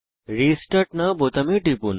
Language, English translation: Bengali, Click on Restart now button